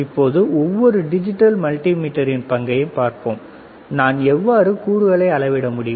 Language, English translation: Tamil, Now, let us see the role of each digital multimeter, and how I can measure the components, all right